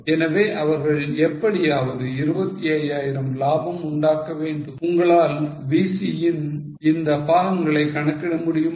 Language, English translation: Tamil, How much will be material, profit of 25, are you able to compute these components of VC